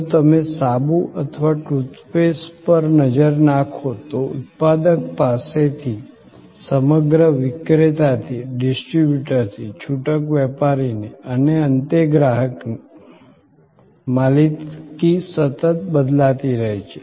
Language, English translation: Gujarati, If you look at a soap or a tooth paste, there is a continuous transfer of ownership from the manufacturer to the whole seller to the distributor to the retailer and finally, to the consumer